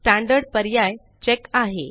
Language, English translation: Marathi, The option Standard has a check